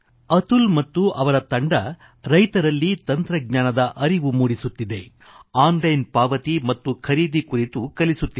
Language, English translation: Kannada, Atul ji and his team are working to impart technological knowhow to the farmers and also teaching them about online payment and procurement